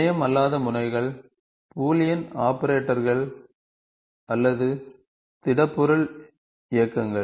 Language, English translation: Tamil, Non terminal nodes are either Boolean operation or a solid object motion